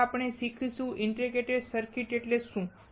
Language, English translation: Gujarati, First we learn what is an integrated circuit